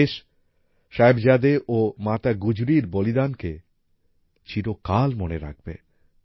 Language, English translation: Bengali, The country will always remember the sacrifice of Sahibzade and Mata Gujri